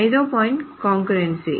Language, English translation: Telugu, The fifth point is concurrency